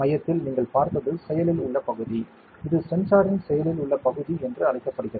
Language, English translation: Tamil, And what you saw at the center is the active area; it is called the active area of the sensor